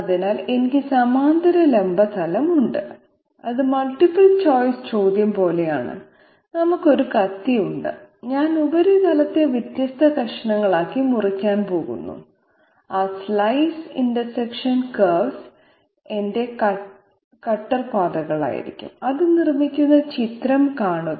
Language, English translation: Malayalam, So I have parallel vertical plane is just like that multiple choice question that we had just like a knife I am going to slice the surface into different slices and those slice interaction curves are going to be my cutter paths, see the figure which will make it clear